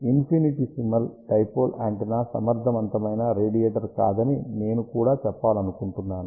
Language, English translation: Telugu, I also want to mention that infinitesimal dipole antenna is not an efficient radiator